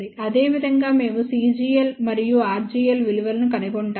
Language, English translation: Telugu, Similarly we find out the values of c gl and r gl